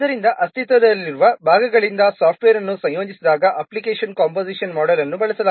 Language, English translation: Kannada, So application composition model is used when the software is composed from the existing parts